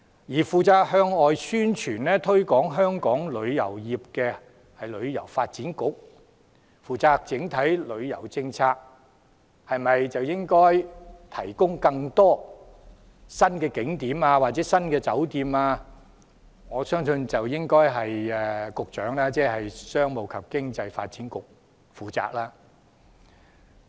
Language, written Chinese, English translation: Cantonese, 至於向外宣傳、推廣香港旅遊業，則由旅遊發展局負責；而整體旅遊政策、考慮應否提供更多新景點或新酒店等，我相信應由商務及經濟發展局負責。, As for the formulation of the overall tourism policy and the provision of new tourist attractions or hotels I believe they should be the duties of the Commerce and Economic Development Bureau